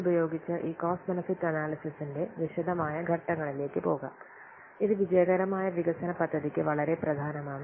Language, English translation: Malayalam, With this now we will go to the detailed steps of this cost benefit analysis which is very very important for successful development of project